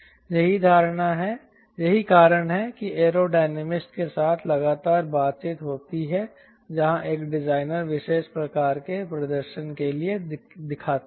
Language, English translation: Hindi, so that is why there is a constant introduction with aero dynamists where a designer looks for the particular type of performance